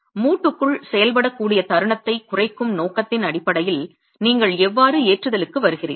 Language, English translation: Tamil, How do you arrive at the loading based on the intention to reduce the moment that can act on the joint itself